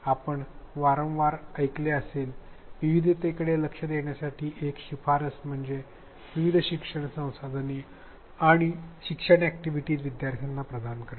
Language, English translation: Marathi, One of the recommendations that you may have often heard of to address diversity is to provide a variety of learning resources and learning activities